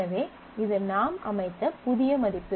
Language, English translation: Tamil, So, this is the new value that we set